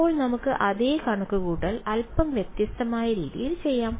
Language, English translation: Malayalam, Now let us do the same calculation in a slightly different way